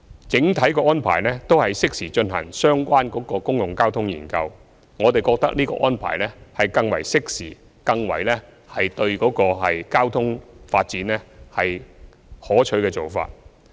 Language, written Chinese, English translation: Cantonese, 整體安排都是適時進行相關的公共交通研究，我們覺得這安排是更為適時，對交通發展更為可取的做法。, On the whole the arrangement is that relevant studies on public transport will be conducted in due course and we consider it a more suitable and more desirable approach to transport development